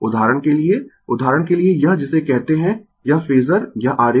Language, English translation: Hindi, For example, for example, you come to this what you call this phasor this diagram